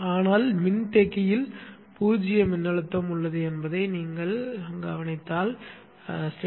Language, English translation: Tamil, But you should understand that the capacitance had zero voltage and therefore zero charge